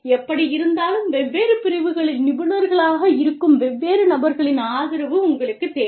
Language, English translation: Tamil, Anyway, is you know, you need the support of different people, who are experts in different disciplines